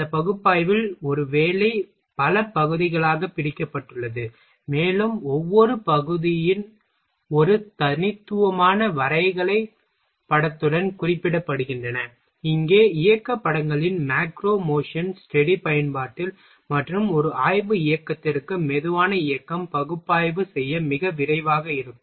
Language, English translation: Tamil, In this analysis a job is divided in a several parts, and each part is represented with a unique graphical picture, here in a macro motion study use of motion pictures, and slow motion to a study motion that otherwise would be too rapid to analyse